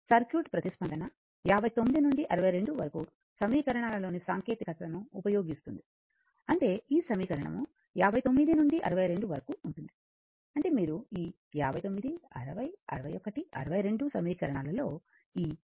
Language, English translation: Telugu, As the circuit response, we will use the technique that equation 59 to 62, that is this equation to 59 to 62; that means, this your what you call this equation this equations that from 59, 60, 61, 62 you using this v is equal to v n plus v f